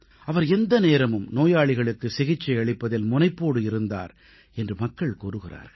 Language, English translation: Tamil, People tell us that he would be ever ready & eager, when it came to treatment of patients